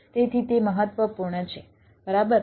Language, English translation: Gujarati, so that is important, right